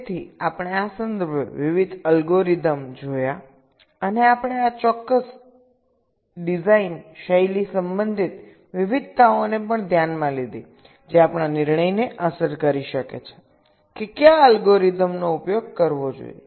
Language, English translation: Gujarati, so we looked at various algorithms in this regards and we also considered this specific design style, related radiations that can affect our decision as to which algorithm should we should be used